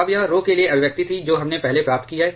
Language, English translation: Hindi, Now, this was the expression for rho that we have obtained earlier